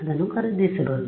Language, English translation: Kannada, You can just buy it